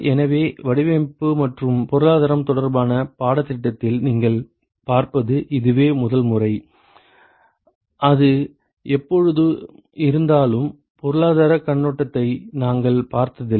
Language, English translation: Tamil, So, this is the first time you will see in this course where the design and the economics are related; although it is always there, but then we never looked at the economic point of view